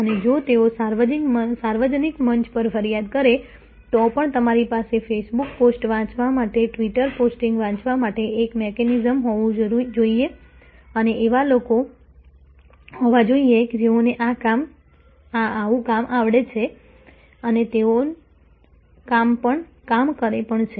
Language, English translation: Gujarati, And even if they do and go complain on the public forum, you should have a mechanism to read the facebook postings, to read the twitter postings and there should be people, who are task to do these things